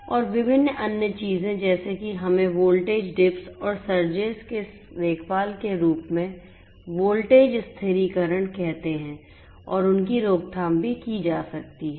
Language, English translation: Hindi, And also you know different other things such as let us say voltage stabilization in the form of taking care of voltage dips and surges and their prevention could also be done